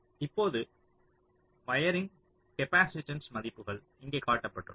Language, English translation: Tamil, now typically wiring capacitance values are also shown here